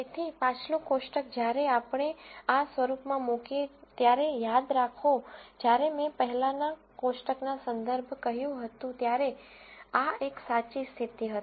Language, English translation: Gujarati, So, the previous table when we put this in this form, remember when I said reference in the previous table, this was a true condition